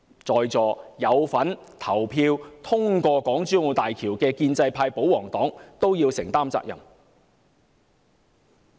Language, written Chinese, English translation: Cantonese, 在座有份投票通過港珠澳大橋的建制派、保皇黨也要承擔責任。, Members from the pro - establishment camp and the pro - Government camp now in this Chamber who have voted for the construction of HZMB should bear the blame